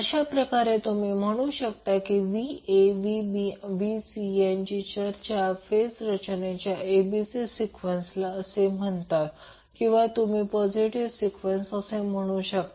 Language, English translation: Marathi, So, in that way you can say that the particular Va Vb Vc arrangement is called as ABC sequence of the phase arrangement or you can call it as a positive sequence arrangement of the phases